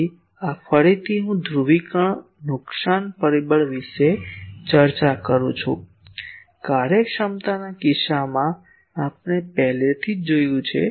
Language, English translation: Gujarati, So, this is again I am discussing polarisation loss factor; already we have seen it in case of a efficiency time